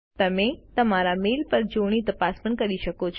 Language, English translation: Gujarati, You can also do a spell check on your mail